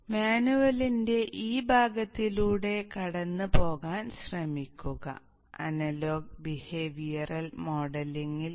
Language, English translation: Malayalam, So try to go through this part of the manual for you to get much better inside into analog behavioral modeling